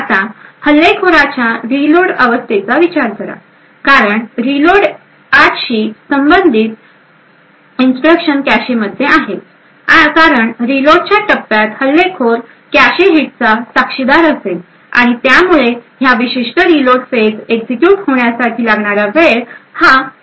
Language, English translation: Marathi, Now consider the attacker’s reload phase, since the instructions corresponding to line 8 are present in the cache the attacker during the reload phase would witness cache hits and therefore the execution time during this particular reload phase would be considerably shorter